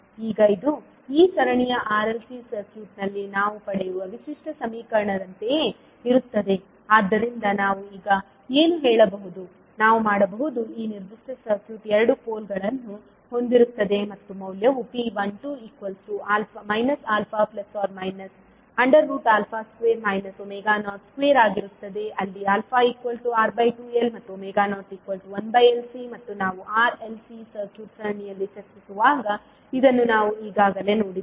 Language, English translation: Kannada, Now this is same as the characteristic equation which we obtain in these case of series r l c circuit so what we can say now, we can say that the this particular circuit will have two poles and the value would be minus Alfa plus minus root of Alfa square minus omega not square where Alfa is r upon two l and omega not is one upon root lc, and this we have already seen when we were discussing the series r, l, c circuit